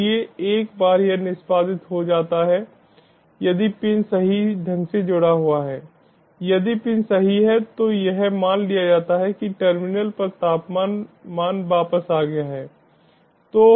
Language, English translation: Hindi, so once this is executed, if the sensor has been correctly connected, if the pins are correct, it is suppose to return ah, ah temperature value on the terminal